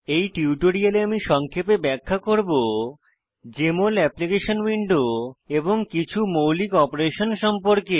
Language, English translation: Bengali, In this tutorial, I will briefly explain about: Jmol Application window and some basic operations